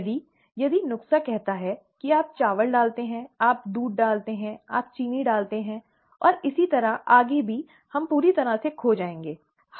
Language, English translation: Hindi, The, if the recipe says you add rice, you add milk, you add sugar, and so on and so forth, we will be completely lost, right